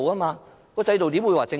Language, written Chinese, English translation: Cantonese, 這個制度怎會是正常？, How can the system be normal?